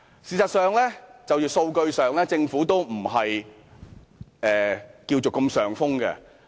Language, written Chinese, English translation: Cantonese, 事實上，政府在數據上並非如此佔上風。, In fact statistically the Government does not have the upper hand